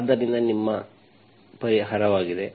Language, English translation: Kannada, So this is your solution